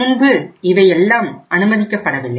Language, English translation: Tamil, Earlier they were not allowed